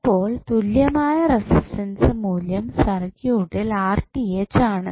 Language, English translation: Malayalam, So, equivalent resistance value of the circuit is Rth